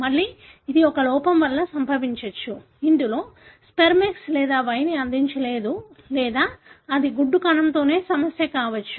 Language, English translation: Telugu, Again this could result from a defect, wherein the sperm did not contribute X or Y or it could be a problem with egg cell itself